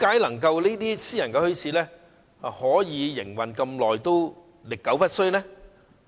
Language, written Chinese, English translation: Cantonese, 為何私營墟市營運至今也歷久不衰？, Why have private bazaars been successful for such a long time?